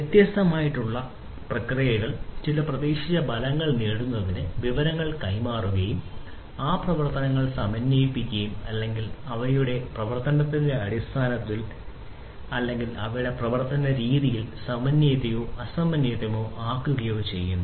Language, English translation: Malayalam, So, these processes, concurrent processes would exchange information to achieve certain expected result and these operations could be synchronous or, asynchronous in terms of their operation or, their modalities of their operation